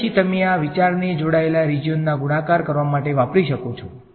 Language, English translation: Gujarati, And then you can extend this idea to multiply connected regions ok